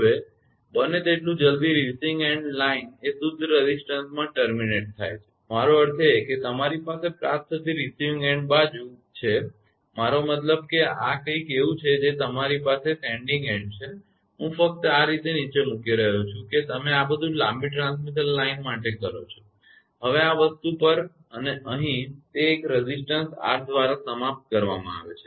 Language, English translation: Gujarati, Now, as soon as the receiving end line is terminated in a pure resistance right; I mean you have a receiving end side I mean it is something like this you have a sending end, I am just putting like this down way long transmission line you make right; now at this thing and here it is terminated by a resistance R right is termination by resistance by your sending end side everything is there source and other things